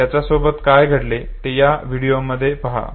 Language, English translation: Marathi, What happens to him look in this very video